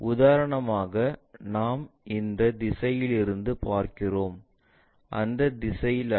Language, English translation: Tamil, For example, we are looking from this direction not in that direction